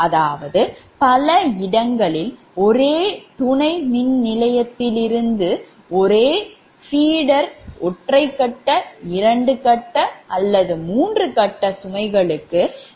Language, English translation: Tamil, second thing: in many places that from the same substation, same feeder, right, single phase, two phase or three phase loads are supplied